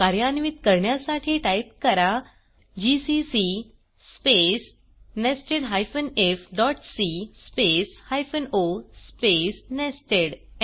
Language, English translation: Marathi, To execute , Type gcc space nested if.c space hyphen o space nested